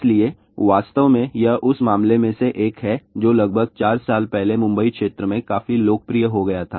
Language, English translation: Hindi, So, this is the one of the case which actually became quite popular in Mumbai area about four years back